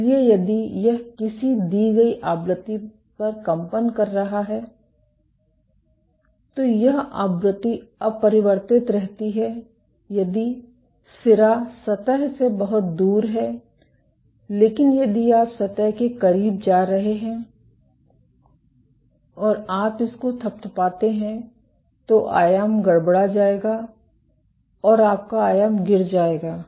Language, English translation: Hindi, So, if it is vibrating at a given frequency this frequency remains unchanged if the tip is far from the surface, but if you are going close to the surface and you are doing this tap, the amplitude will get perturbed your amplitude will drop